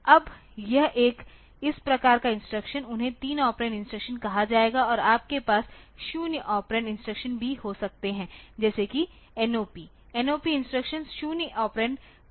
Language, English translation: Hindi, Now, this one this type of instruction they will be called 3 operand instructions and you can also have 0 operand instruction like say NOP, NOP instruction is 0 operand no operand is there